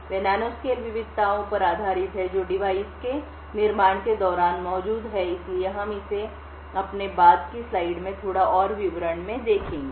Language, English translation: Hindi, They are based on nanoscale variations in which are present during the manufacturing of the device, So, we will see this in little more details in our later slide